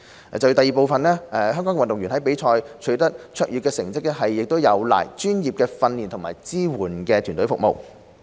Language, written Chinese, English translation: Cantonese, 二香港運動員在比賽取得卓越成績，有賴專業的訓練和支援團隊服務。, 2 The outstanding achievements of Hong Kong athletes are made possible with the professional training and support services they received